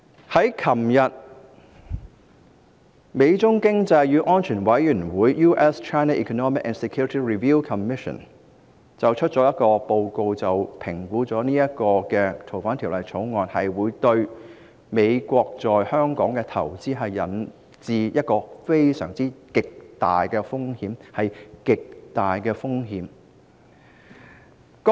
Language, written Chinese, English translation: Cantonese, 昨天，美中經濟與安全審查委員會發表了一份報告，指出《2019年逃犯及刑事事宜相互法律協助法例條例草案》會對美國在香港的投資帶來極大的風險，是極大的風險。, Yesterday the US - China Economic and Security Review Commission published a report pointing out that the Fugitive Offenders and Mutual Legal Assistance in Criminal Matters Legislation Amendment Bill 2019 would pose significant risks and I stress significant risks to the investments of the United States in Hong Kong